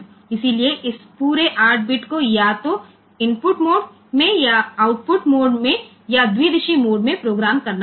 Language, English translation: Gujarati, So, this entire 8 bit has to be programmed either in input mode, or in output mode or in bidirectional mode